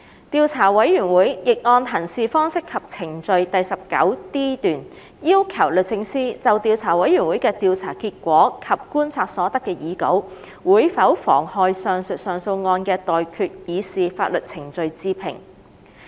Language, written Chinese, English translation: Cantonese, 調查委員會亦按《行事方式及程序》第 19d 段，要求律政司就調查委員會的調查結果及觀察所得的擬稿會否妨害上述上訴案的待決刑事法律程序置評。, Pursuant to paragraph 19d of the Practice and Procedure the Investigation Committee requested DoJ to comment whether the draft findings and observations of the Investigation Committee might prejudice the pending criminal proceedings of the above appeal case